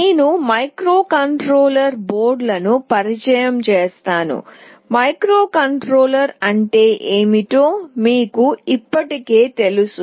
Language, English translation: Telugu, I will introduce microcontroller boards, we already know what a microcontroller is